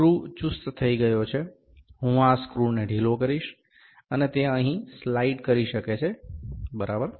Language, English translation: Gujarati, The screw is tightened, I will loosen this screw, and it can slide here, ok